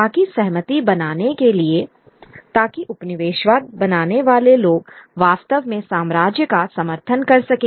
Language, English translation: Hindi, So, so as to create consent, so as to make the colonized peoples actually support the empire